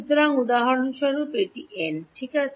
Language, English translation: Bengali, So, for example, this is n right